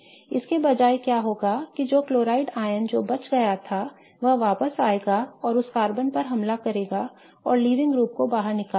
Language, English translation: Hindi, Instead what will happen is that the chloride ion that escaped will come back and attack this carbon and kick out the leaving group